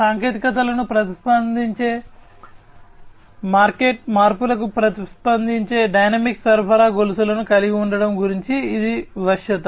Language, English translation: Telugu, So, this is flexibility is about having dynamic supply chains, which are responsive to technologies, responsive to market changes, and so on